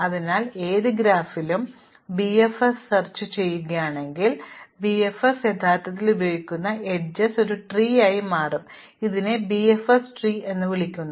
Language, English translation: Malayalam, So, in any graph if we explore BFS, the edges that BFS actually uses will form a tree and this is called a BFS tree